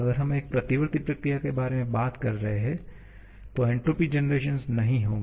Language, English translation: Hindi, If we are talking about a reversible process, the entropy generation will not be there